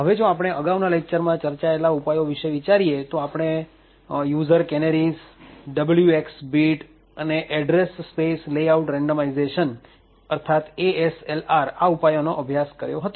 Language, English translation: Gujarati, So, now if we look at the countermeasures that has been presented in the earlier lectures, we had actually studied the user canaries, the W xor X bit as well as ASLR Address Space Layout randomization